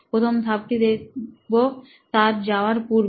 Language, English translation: Bengali, The first step to see is before their journey